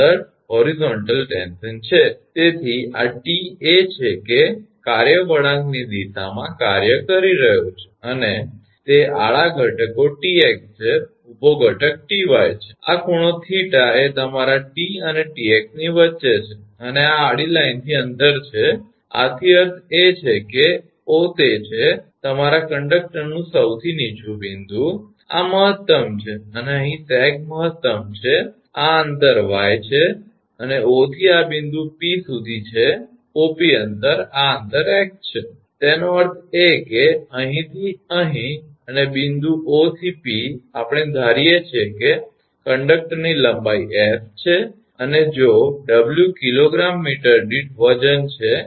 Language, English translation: Gujarati, So, this is this T is work is acting in the direction of the curve, and it is horizontal components is Tx and vertical component is Ty, and this angle is your between T and T x is theta, and distance from this horizontal line from this meaning that is O is that your lowest point of the conductor this is maximum, and here the sag is maximum this distance is y small y and from O to this point P that is OP this distance is x O to P that distance is x; that means, here to here and from point O to P we assume the conductor length is small S, this is small S and if the W is the weight per kg meter